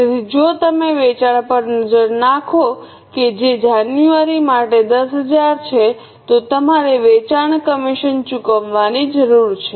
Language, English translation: Gujarati, So, if you look at the sales which is 10,000 for January, you need to pay the sales commission